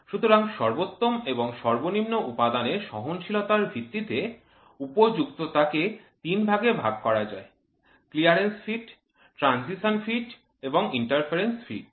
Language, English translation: Bengali, So, depending upon the tolerance which is given there maximum material and minimum material condition you can have three different types, of fits clearance fit, transition fit and interference fit